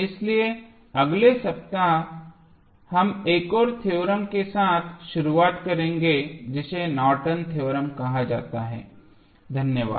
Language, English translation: Hindi, So, next week we will start with another theorem which is called as Norton's Theorem, thank you